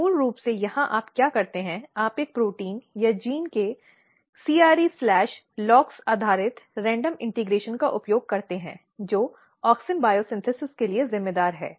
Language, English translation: Hindi, So, basically here what you do, you use Cre Lox based random integration of a protein or a gene which is responsible for auxin biosynthesis